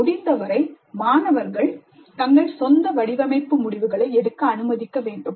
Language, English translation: Tamil, To the extent possible, students must be allowed to make their own design decisions, their own design decisions